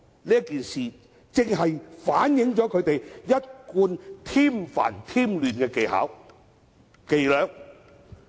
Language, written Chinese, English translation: Cantonese, 這件事件正好反映他們一貫添煩、添亂的伎倆。, This incident reflects that these Members always create trouble and chaos